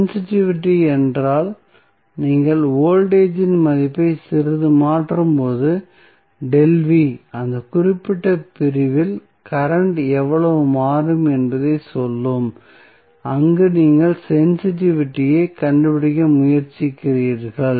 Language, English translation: Tamil, Sensitivity means, when you change the value of voltage a little bit say delta V, how much the current will change in that particular segment, where you are trying to find out the sensitivity